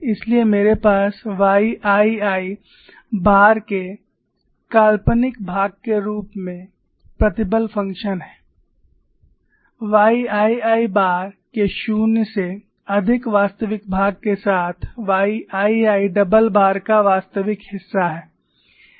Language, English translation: Hindi, So, I have stress function phi as imaginary part of y 2 double bar minus y real part of y 2 bar plus real part of z 2 bar